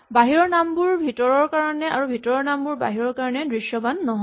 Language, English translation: Assamese, Names outside are not visible inside, the names inside are not visible outside